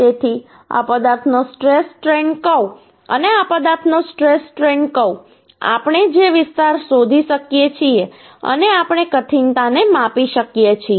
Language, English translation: Gujarati, So stress strain curve of this material and stress strain curve of this material, the area we can find out and we can measure the toughness